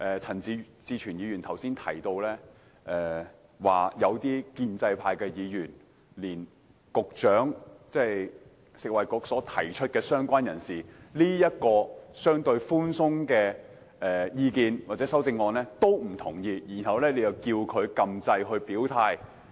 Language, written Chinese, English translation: Cantonese, 陳志全議員剛才提到，有些建制派議員連食物及衞生局局長所提出有關"相關人士"這個相對寬鬆的修正案也不認同，然後便期望他在表決時按鈕表態。, Mr CHAN Chi - chuen mentioned just now some Members from the pro - establishment camp do not even agree to the relatively relaxed amendment proposed by the Secretary for Food and Health about related person but then expect him to make his position known at the press of the button in the voting